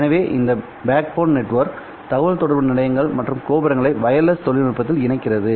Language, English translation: Tamil, So, this backbone network connects to stations and towers that are used in the wireless communication systems